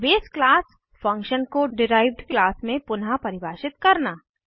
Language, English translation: Hindi, Redefining a base class function in the derived class